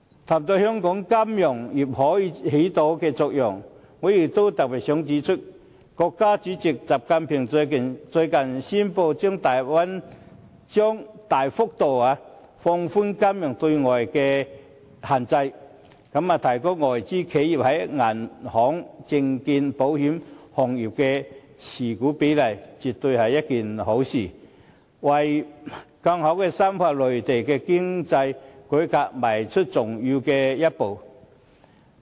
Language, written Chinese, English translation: Cantonese, 談到香港金融業可以發揮的作用，我也特別想指出，國家主席習近平最近宣布將大幅度放寬金融業對外資的限制，提高外資企業在銀行、證券、保險等行業的持股比例，絕對是一件好事，更是為深化內地經濟改革邁出重要的一步。, Speaking of the role which the Hong Kong financial industry can play I must talk about President XIs recent announcement that the restrictions on foreign investment in the Mainland financial market will soon be drastically relaxed . The shareholding limit of foreign companies in the banking securities and insurance industries of the Mainland will be increased . This is surely something wonderful and also an important step in deepening the economic reform of the Mainland